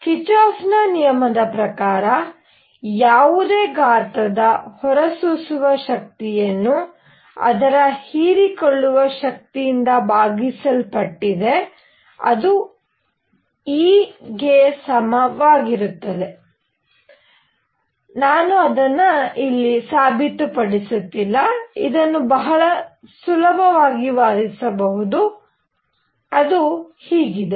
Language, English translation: Kannada, Kirchhoff’s law that says that emissive power of anybody divided by its absorption power is equal to E, I am not proving it, this can be argued very easily, but this is what it is